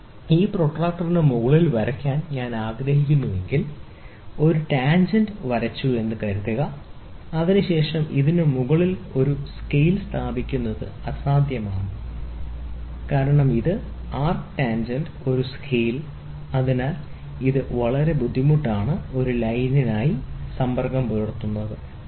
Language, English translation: Malayalam, Suppose if I wanted to draw on top of this protractor, I wanted to draw a tangent, then placing a scale on top of this will be next to impossible, because it is radius, and tangent is a scale, so it will be very difficult for a for a line to stay in contact with the arc, so you will get only a point